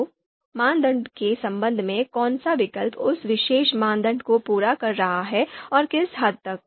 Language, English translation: Hindi, So with respect to criterion which alternative is fulfilling that particular criterion and what extent